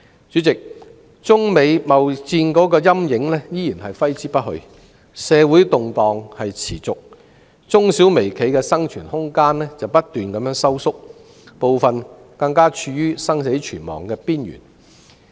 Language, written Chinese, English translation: Cantonese, 主席，中美貿易戰的陰影依然揮之不去，社會動盪持續，中小微企的生存空間不斷收縮，部分更處於生死存亡的邊緣。, President with the shadow of the China - United States trade war hovering over us and the ongoing social unrest MSMEs room for survival continue to shrink and some of them are at the brink of closing down